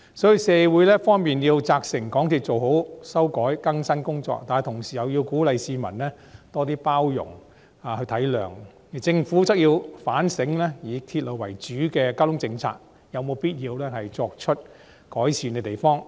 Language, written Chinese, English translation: Cantonese, 所以，社會一方面要責成港鐵公司要做好修改更新工作，但同時又要鼓勵市民多些包容體諒，而政府則要反省以鐵路為主的交通政策有否必須改善之處。, Therefore on the one hand society has to ensure that MTRCL will carry out the rectification and updating work properly but at the same time members of the public should be encouraged to be more tolerant and understanding while the Government has to reflect on the need to identify room for improvement in the transport policy of using railway as the backbone